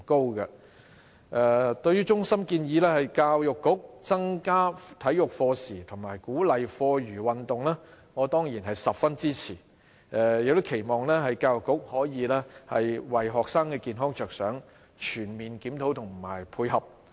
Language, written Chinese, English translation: Cantonese, 對於衞生防護中心建議教育局增加體育課時及鼓勵課餘運動，我當然十分支持，期望教育局可以為學生的健康着想，作出全面檢討及配合。, I certainly support CHPs suggestion that the Education Bureau should increase school hours on physical education and encourage students to participate in after - school physical activities . I hope the Education Bureau can conduct a comprehensive review and provide full support for the sake of the health of students